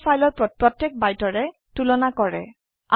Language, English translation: Assamese, It compares two files byte by byte